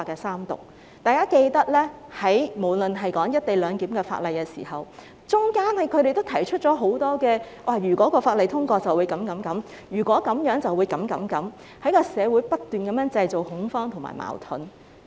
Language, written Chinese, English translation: Cantonese, 相信大家還記得，在討論"一地兩檢"安排的法例期間，他們也提出了很多"如果法例通過便會這樣那樣"等的說法，不斷在社會上製造恐慌和矛盾。, I believe you would still remember that when we were discussing the legislation relating to the co - location arrangement they have also put forward a bunch of sayings such as If the law is passed it will result in this and that to continuously create panic and conflicts in society